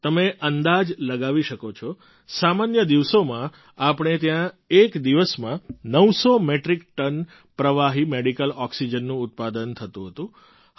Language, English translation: Gujarati, You can guess for yourself, in normal circumstances we used to produce 900 Metric Tonnes of liquid medical oxygen in a day